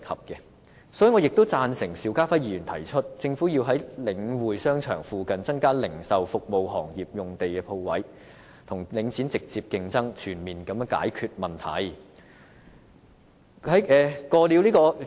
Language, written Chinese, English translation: Cantonese, 所以，我亦贊成邵家輝議員提出，政府要在領展商場附近增加零售、服務行業的用地和鋪位，與領展直接競爭，全面解決問題。, Therefore I agree with the proposal put forward by Mr SHIU Ka - fai that the Government should provide additional land and shops for the retail and services industries for the purpose of directly competing with Link REIT and resolving the problems on all fronts